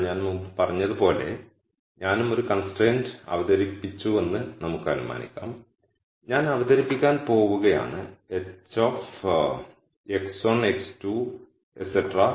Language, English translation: Malayalam, But like I said before let us assume that I also introduced one constraint and I am going to introduce let us say a constraint which is of the form h of x 1 x 2 all the way up to x n equal to 0